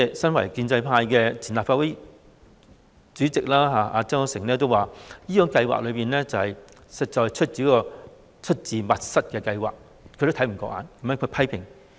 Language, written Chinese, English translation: Cantonese, 身為建制派的前立法會主席曾鈺成也表示，這項計劃實在是一項出自密室的計劃，他也看不過眼，所以作出批評。, Why should we do this? . Even Jasper TSANG a member of the pro - establishment camp and the former President of the Legislative Council regarded it as a plan originated in secrecy which was more than he could bear he subsequently voiced criticism